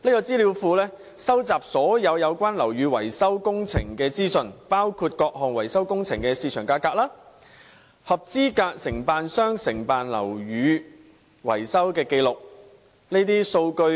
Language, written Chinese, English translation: Cantonese, 資料庫會收集所有樓宇維修工程的資訊，包括各項維修工程的市場價格、合資格承辦商承辦樓宇的維修紀錄等。, The database will collect information on all building maintenance works including the market costs of various maintenance works items the records of building maintenance works undertaken by qualified contractors and so on